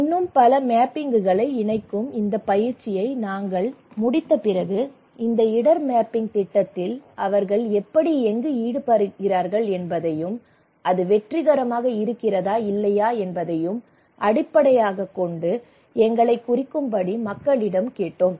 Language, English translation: Tamil, And so after we finish this exercise of connecting many more mappings and all we ask people that hey please mark us that what how you involved into this project of risk mapping, was it successful or not